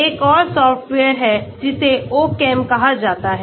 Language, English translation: Hindi, There is another software which is called the Ochem